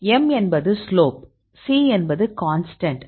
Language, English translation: Tamil, So, m is the slope, c is the constant